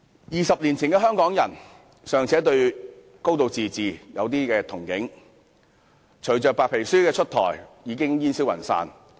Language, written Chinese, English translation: Cantonese, 二十年前的香港人尚且對"高度自治"有少許憧憬，但隨着白皮書出台，已煙消雲散。, Two decades ago Hong Kong people still had some expectations for a high degree of autonomy but following the release of the White Paper all such expectations had gone up in smoke